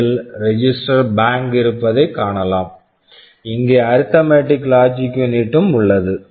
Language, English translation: Tamil, You see you have all the registers say register bank, here we have the arithmetic logic unit